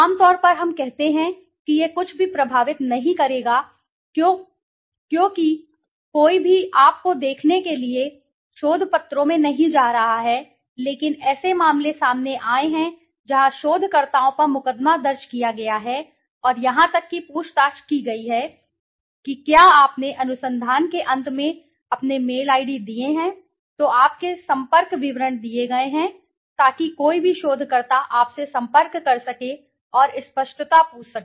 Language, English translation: Hindi, Generally we say it nothing would affect because nobody is going to the research papers to see you but there have been cases where the researchers have been sued and have been questioned even if you have seen the end of the research your mail id's are given, your contact details are given so that any researcher can contact you and ask for clarity